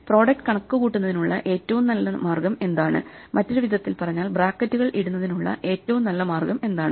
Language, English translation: Malayalam, What is the optimal way of computing the product, what is the optimal way of putting brackets in other words